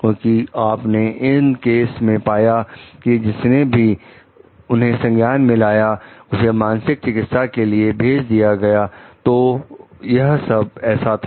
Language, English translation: Hindi, Because, you find in these cases who ever reported, where sent like for psychiatric treatment, so was it